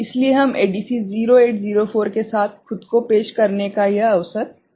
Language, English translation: Hindi, So, we take this opportunity to introduce ourselves with ADC 0804 ok